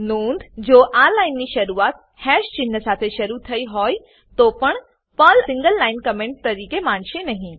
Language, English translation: Gujarati, Note: Though this line starts with hash symbol, it will not be considered as a single line comment by Perl